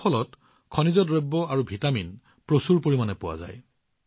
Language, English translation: Assamese, In this fruit, minerals and vitamins are found in abundance